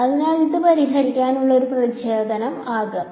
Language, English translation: Malayalam, So, that can be a motivation for solving this